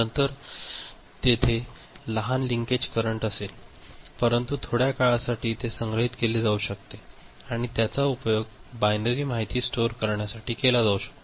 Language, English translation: Marathi, Of course, there will be small leakage; but for a short time it can be stored and that can be used for storing binary information, ok